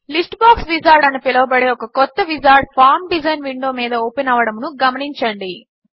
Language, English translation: Telugu, Notice that a new wizard called List Box Wizard has opened up over the Form design window